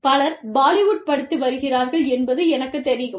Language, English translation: Tamil, I am sure, many people have studied, many people are still studying, Bollywood